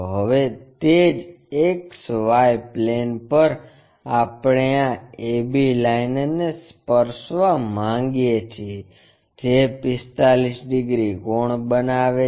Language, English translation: Gujarati, Now on the same X Y plane we want to touch this a b line which is making 45 degrees angle